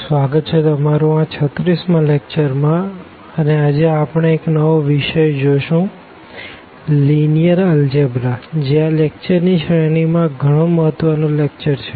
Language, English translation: Gujarati, So, this is a lecture number 36 and today we will continue with a new topic that is a linear algebra a very important topic in these series in this series of lecture